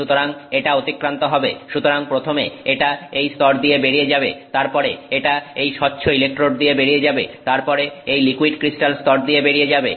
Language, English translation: Bengali, So it goes past, so first goes through this layer, then it goes through this transparent electrode, then goes through this liquid crystal layer